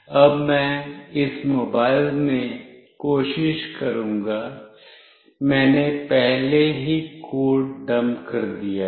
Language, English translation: Hindi, Now I will try out in this mobile, I have already dumped the code